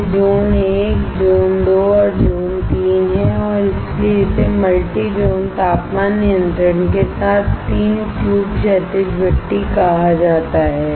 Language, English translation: Hindi, They are Zone 1, Zone 2 and, Zone 3, and that is why it is called three tube horizontal furnace with multi zone temperature control